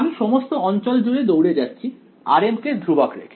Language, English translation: Bengali, I am running over this entire region keeping r m constant